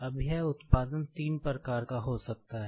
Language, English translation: Hindi, Now, this production could be of three types